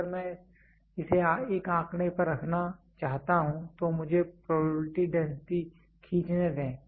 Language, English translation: Hindi, If I want to put it on a figure let me draw probability density